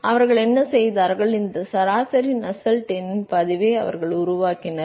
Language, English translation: Tamil, And so, what they did was they made a plot of log of this average Nusselt number